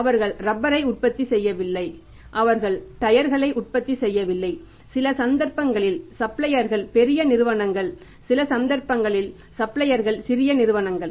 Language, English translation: Tamil, They are not manufacturing the glass, they are not manufacturing the steel, they are not manufacturing the rubber, they are not manufacturing the tires and in some cases the suppliers are big companies, in some cases the suppliers are small companies